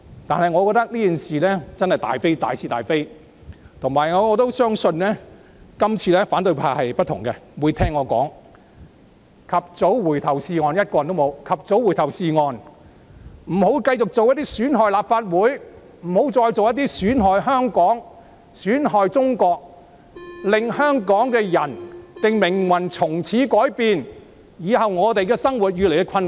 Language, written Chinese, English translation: Cantonese, 不過，我認為《逃犯條例》修訂爭議涉及大是大非，而且反對派這次的反應可能不同，他們或會聽我的話，及早回頭是岸——沒有一位反對派議員在席——不要繼續做些損害立法會、香港及中國，令香港人的命運從此改變的事情，令我們日後的生活越益困難。, Yet apart from the fact that the controversy of the FOO amendment is a matter of principle I also think the opposition may react differently this time around . Instead of continuing their efforts to undermine the Legislative Council Hong Kong and China change the destiny of Hong Kong people and make our lives increasingly difficult in the future Members of the opposition camp―none of them are present―may listen to me and reverse course before too late